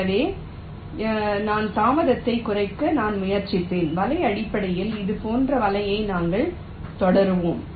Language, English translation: Tamil, so i will be trying to minimize the delay of this net like that, on a net by net basis we shall proceed